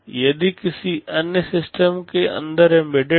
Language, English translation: Hindi, It is embedded inside some other system